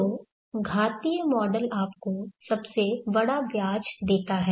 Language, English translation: Hindi, So exponential model gives you the largest interest